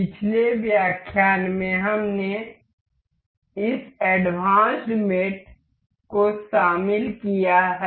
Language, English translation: Hindi, In the last lecture, we have covered up to this advanced mates